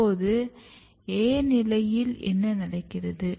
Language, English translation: Tamil, So, what happens in the position A